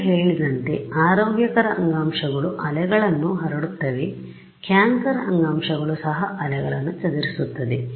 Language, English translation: Kannada, Now as was mentioned it can happen that healthy tissue will also scatter waves cancerous tissue will also scatter waves